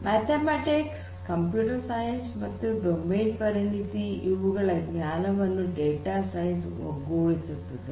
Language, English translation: Kannada, So, basically data science combines the knowledge from mathematics, computer science and domain expertise